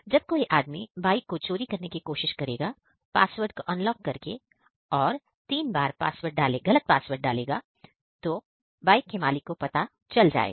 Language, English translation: Hindi, If someone will try to unlock the bike using wrong password; if he types wrong password three times, then also the theft message will go to the owners mobile